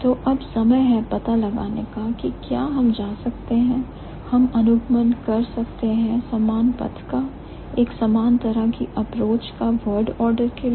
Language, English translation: Hindi, So, now it's the time to find out whether we can go, we can follow similar path for or similar sort of an approach for word order